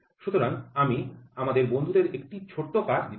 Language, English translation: Bengali, So, I would like to give a small assignment to our friends